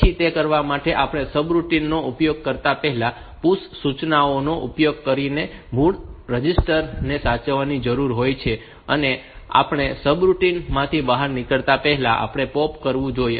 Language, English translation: Gujarati, Then for doing it we need to save the original registers using PUSH instructions before using them in the subroutine, and we have to before exiting the subroutine, we should POP them